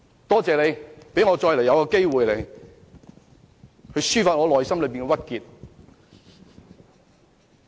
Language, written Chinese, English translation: Cantonese, 多謝代理主席讓我再次有機會抒發內心的鬱結。, Deputy President thank you for giving me another opportunity to vent my pent - up frustrations